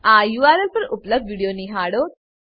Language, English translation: Gujarati, Watch the video available at this URL